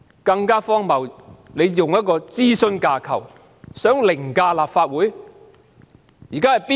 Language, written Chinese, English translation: Cantonese, 更荒謬的是，政府企圖用一種諮詢架構凌駕立法會。, More ridiculously the Government has attempted to use a consultative framework to override the Legislative Council